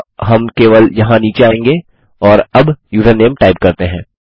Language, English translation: Hindi, So we can just come down here and type username now